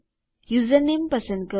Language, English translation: Gujarati, Choose your username